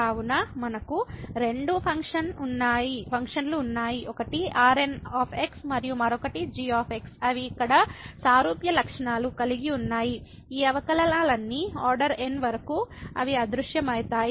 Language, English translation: Telugu, So, we have 2 functions one is and another one is they have similar properties here that all these derivative upto order they vanish